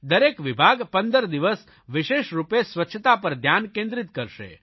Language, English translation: Gujarati, Each department is to focus exclusively on cleanliness for a period of 15 days